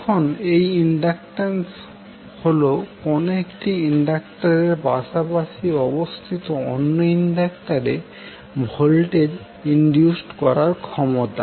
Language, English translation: Bengali, Now this mutual inductance is the ability of one inductor to induce voltage across a neighbouring inductor